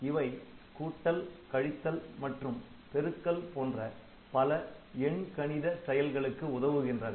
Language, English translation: Tamil, So, multi this was addition, subtraction and multiplication